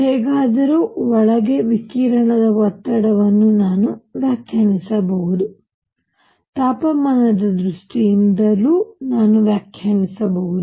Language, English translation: Kannada, However, as you just seen that I can define pressure for radiation inside, I can define in terms of temperature